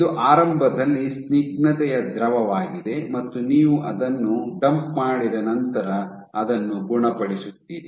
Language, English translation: Kannada, So, this is initially a viscous fluid and after you dumped it what you do is you cure it